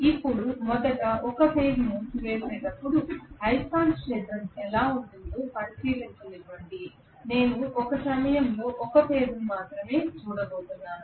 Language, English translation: Telugu, Now, If am having only 1 phase winding first of all let me examine how the magnetic field is going to look like, I am just going to look at only one of the phases at a time okay